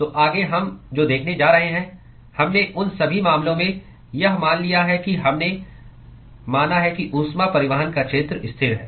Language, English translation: Hindi, So, next what we are going to see is, we assumed so far in all the cases that we considered, that the area of heat transport is constant